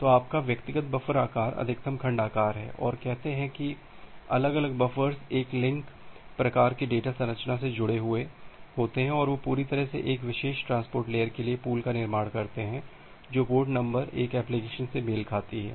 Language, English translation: Hindi, So, your individual buffer size is the maximum segment size and say individual buffers are connected by a linked list kind of data structure and they entirely construct the buffer pool for a particular transport layer port number corresponds to an application